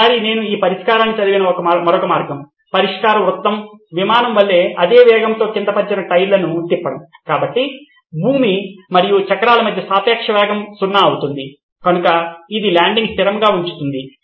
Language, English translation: Telugu, One often time I have read this solution that I have seen for this is the other way round solution is to rotate the tyre at the same speed as the aircraft so the relative speed between the ground and the wheels are zero, so is as if it’s landing stationary